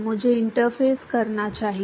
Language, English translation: Hindi, I should rather say interface